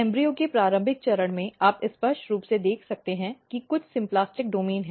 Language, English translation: Hindi, So, if you look this pattern, so at the early stage of embryo, you can clearly see that there are few symplastic domains